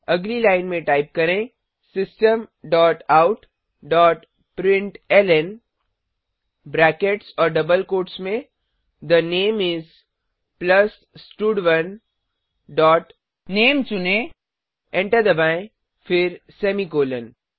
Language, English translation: Hindi, Next line type System dot out dot println within brackets and double quotes The name is, plus stud1 dot select name press enter then semicolon